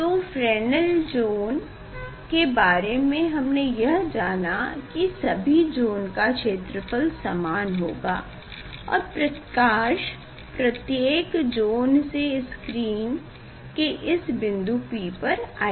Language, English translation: Hindi, this Fresnel zones about the Fresnel zones what we came to know, what you know now that area of each zone is same and light will come from that from each zone to the screen at a point P